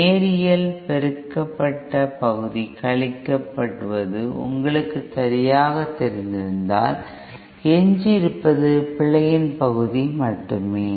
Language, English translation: Tamil, Then if that you know the correctly the linearly amplified part is subtracted, then all we will have remaining is the error part